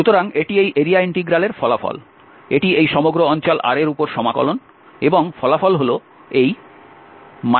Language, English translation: Bengali, So, this is the result of this area Integral, this is the integral over this whole region R and the result is this minus C F 1 dx